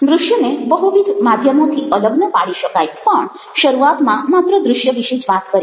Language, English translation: Gujarati, visuals cannot be really separated from multimedia, but initially will talk about visuals in isolation